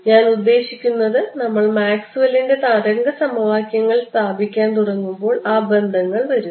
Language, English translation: Malayalam, I mean when we start putting in Maxwell’s equation wave equations those relations will come